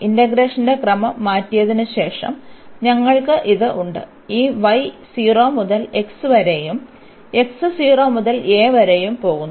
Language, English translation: Malayalam, We have this after changing the order of integration, we have this y goes from 0 to x and x goes from 0 to a